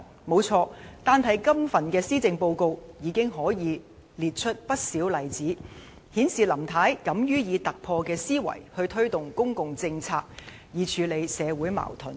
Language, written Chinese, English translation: Cantonese, 沒錯，這份施政報告已有不少例子，顯示林太敢於以突破的思維，推動公共政策以處理社會矛盾。, There are quite a number of examples in the Policy Address illustrating Mrs LAMs courage to think outside the box in implementing public policies to resolve social conflicts